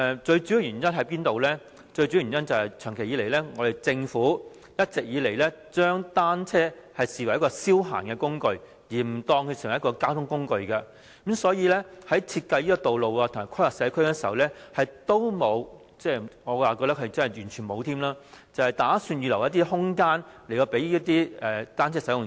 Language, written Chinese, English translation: Cantonese, 最主要的原因是，政府一直將單車視作一種消閒工具，而非交通工具，所以，在設計道路及規劃社區時，並無——我覺得是完全沒有——預留一些空間給單車使用者。, The main reason is that the Government has all along regarded bicycles as a tool of leisure rather than a mode of transport . For this reason in designing roads and conducting community planning it did not―I do not think it did anything at all―reserve any space for cyclists